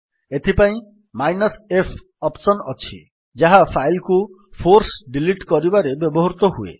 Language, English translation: Odia, In this case we have the f option which can be used to force delete a file